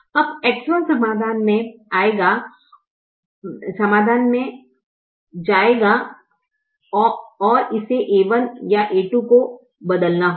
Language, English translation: Hindi, now x one will come into the solution and it has to replace either a one or a two